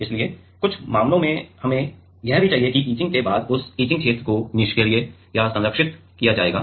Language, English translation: Hindi, So, in some cases we need were that after etching that etched region will be passivated or protected